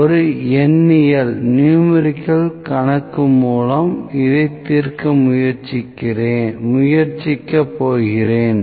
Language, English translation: Tamil, So, I will try to solve this using a numerical using a problem here